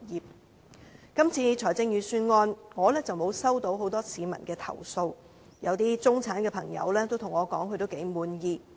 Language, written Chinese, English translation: Cantonese, 就今次的預算案，我並沒有接獲很多市民投訴，一些中產朋友也對我表示他們頗滿意。, With regard to the Budget this year I have not received many complaints from the people and some members of the middle class are reasonably satisfied